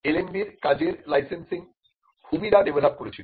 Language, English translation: Bengali, The licensing of LMB’s work led to the development of Humira